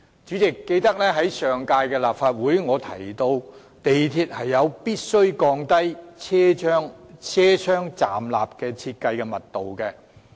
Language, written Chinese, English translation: Cantonese, 主席，記得在上屆立法會，我提到港鐵有必要降低車廂站立的設計密度。, President you may recall that in the last term of the Legislative Council I raised the issue of lowering the design density of standing room in train compartments